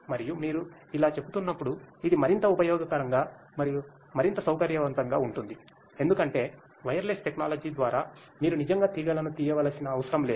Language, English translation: Telugu, And as you were saying that, it is more useful and more convenient basically because wireless technology you do not have to really the dig wires and through that